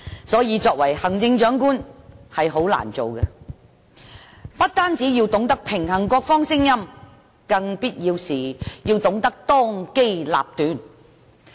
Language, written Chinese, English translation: Cantonese, 所以，行政長官是很難做的，他不單要平衡各方聲音，在必要時更要當機立斷。, Therefore it is difficult to be the Chief Executive after all as he or she must balance the voices of all parties and be decisive when required